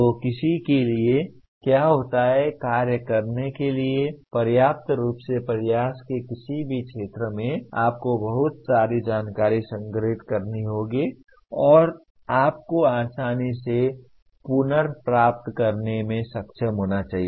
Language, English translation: Hindi, So what happens for anyone to function, adequately in any area of endeavor, you have to store lot of information and you should be able to readily retrieve